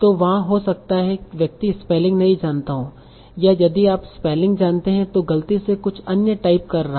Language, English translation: Hindi, So they may be because the person is maybe not knowing the spelling or even if he knows that spelling by mistake he is typing the other wobble